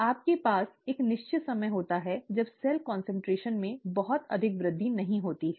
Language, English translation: Hindi, You have a certain time when there is not much of an increase in cell concentration